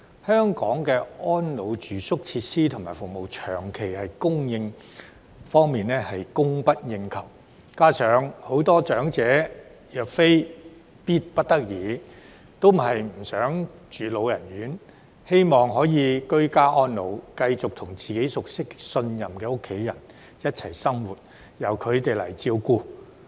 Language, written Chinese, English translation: Cantonese, 香港的安老住宿設施和服務在供應方面長期供不應求，加上很多長者若非必不得已，也不想居住老人院，希望可以居家安老，繼續和自己熟悉及信任的家人一起生活，由他們來照顧。, In Hong Kong the supply of residential care facilities and services for the elderly has failed to keep up with the demand for a long period of time . What is more unless there is no choice many elders do not want to reside in elderly homes but wish to age at home and continue to live with and be taken care of by family members whom they are familiar with and trusted